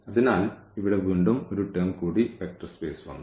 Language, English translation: Malayalam, So, again one more term here the vector space has come